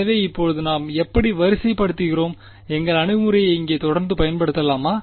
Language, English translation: Tamil, So, now how do we sort of how do we continue to use our approach over here